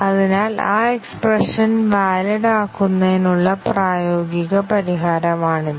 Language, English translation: Malayalam, So, this is the workable solution to making that expression valid